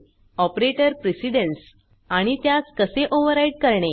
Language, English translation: Marathi, operator precedence, and, How to override it